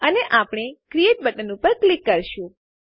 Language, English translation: Gujarati, And we will click on the Create button